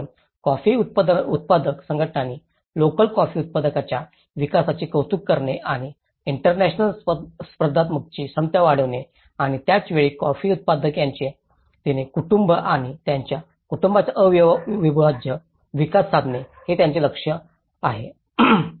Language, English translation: Marathi, So, this is where the coffee growers organizations, they actually aim to favour the development of the local coffee industry through the improvement of efficiency of and international competitiveness and procuring at the same time the integral development of the coffee grower his/her family and the region